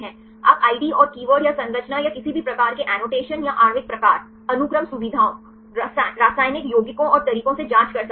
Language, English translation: Hindi, You can check with the ID and keywords or the structure or any type of annotation or the molecular type, sequence features, chemical compounds and methods